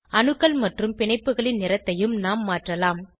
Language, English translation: Tamil, We can also change the colour of atoms and bonds